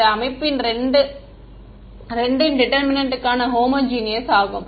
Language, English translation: Tamil, So, this system is like 2 homogeneous for determinant